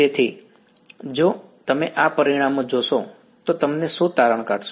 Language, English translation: Gujarati, So, if you saw these results what would you conclude